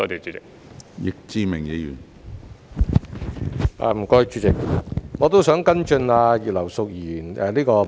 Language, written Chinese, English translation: Cantonese, 主席，我也想跟進葉劉淑儀議員的質詢。, President I would also like to follow up the question raised by Mrs Regina IP